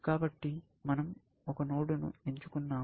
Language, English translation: Telugu, So, we have picked a node